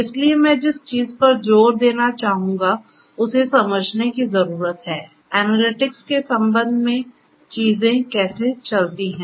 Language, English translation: Hindi, So, what I would like to emphasize is we need to understand; we need to understand how things go on with respect to the analytics